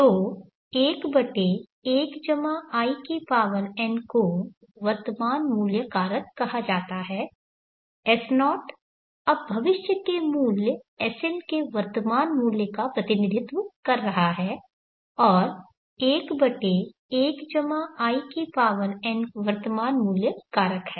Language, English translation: Hindi, So 1/1+In is called the present worth factor S0 is now representing the present worth of the future value SM and 1/1+In is present worth factor